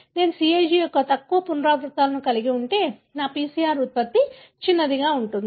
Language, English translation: Telugu, If I have fewer repeats of CAG, my PCR product will be smaller